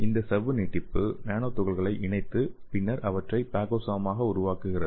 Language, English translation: Tamil, So these membrane extensions enclose the nanoparticles and then internalize them forming the phagosome